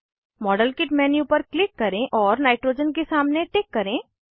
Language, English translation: Hindi, Click on the modelkit menu and check against Nitrogen